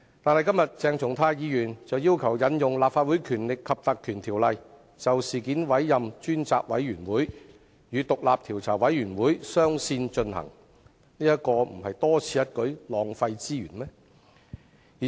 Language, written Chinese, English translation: Cantonese, 但是，鄭松泰議員今天卻要求引用《立法會條例》，就事件委任專責委員會，與調查委員會雙線展開工作，這豈非多此一舉，浪費資源？, That said Dr CHENG Chung - tai requests to invoke the Legislative Council Ordinance today to as far as this incident is concerned appoint a select committee to commence work concurrently with the Commission of Inquiry . Is this move uncalled for and will it cause wastage of resources?